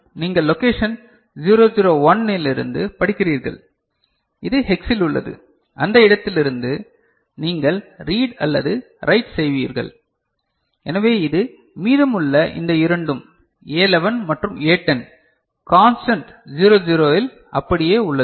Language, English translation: Tamil, So, you will be reading from location 001, that is in hex, from that location you will be reading or writing; so, because this is remaining these two, A11 and A10 remaining constant at 00